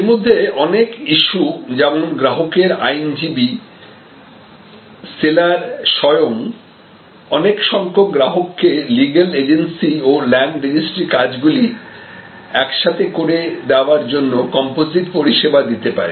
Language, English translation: Bengali, Many of these issues like the buyers, lawyer, the seller themselves may provide a composite service to number of customers to deal with the legal agency and the land registry involves stoke